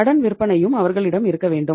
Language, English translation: Tamil, They must have the credit sales also